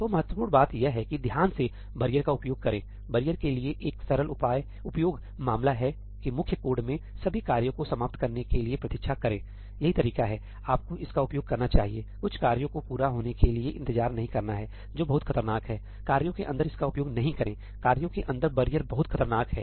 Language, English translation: Hindi, So, bottom line use barrier carefully; there is a simple use case for barrier that in the main code, wait for all the tasks to finish, that is the way you should use it , not to wait for some tasks to complete, that is very dangerous, do not use it inside tasks; barrier inside tasks is very dangerous